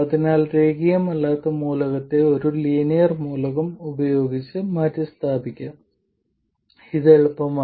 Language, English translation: Malayalam, So, the nonlinear element can be itself replaced by a linear element